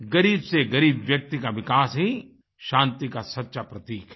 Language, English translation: Hindi, Development of the poorest of the poor is the real indicator of peace